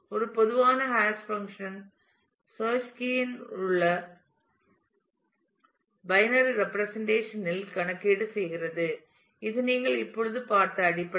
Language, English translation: Tamil, A typical hash function performs computation on the internal binary representation of the search key that is the basic that that is the one that you have just seen